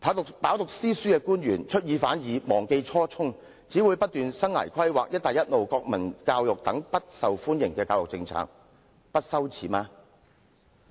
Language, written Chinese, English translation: Cantonese, 官員飽讀詩書，卻出爾反爾，忘記初衷，只不斷提倡生涯規劃、'一帶一路'、國民教育等不受歡迎的教育政策，他們不感到羞耻嗎？, Being well - educated government officials have repeatedly backtracked on their promises and forgotten their original aspirations . Instead they keep advocating such unpopular education policies as career and life planning Belt and Road national education and so on . Do they not feel ashamed?